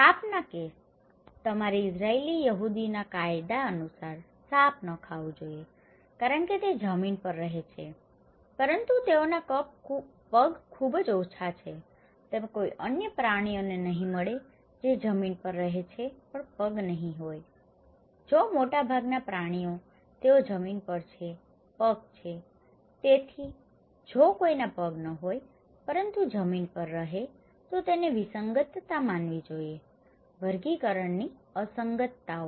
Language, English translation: Gujarati, In case of snake, you should not eat snake according to Israeli Jews law because they live on land but they have no legs thatís very rare, you would not find any other animals that live on land but no legs so, if most of the animals they are on land, they have legs so, if someone does not have legs but living on land, this is should be considered as anomaly, okay; taxonomic anomalies